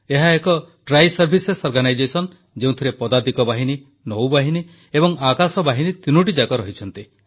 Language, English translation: Odia, It is a Triservices organization comprising the Army, the Navy and the Air Force